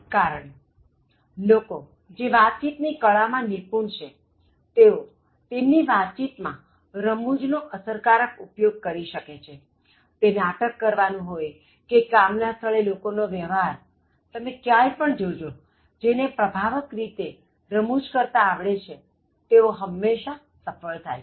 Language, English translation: Gujarati, Because people who excel in effective communication, they have learnt the art of using humour very effectively in their communication, whether it is in terms of enacting place or in terms of dealing with people in workplace, wherever you see so people who have understood the effective use of humour have always been successful